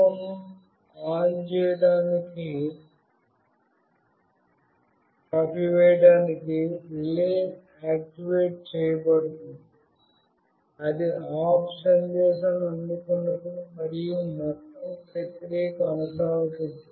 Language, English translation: Telugu, And the relay is activated to turn off the lamp, when it receives the OFF message and the whole process continues